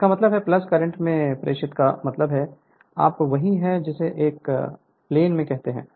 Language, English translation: Hindi, So that means, plus means current entering into the you are what you call into the plane right